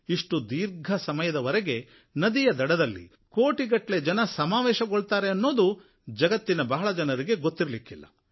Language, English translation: Kannada, Very few know that since a long time, crores and crores of people have gathered on the riverbanks for this festival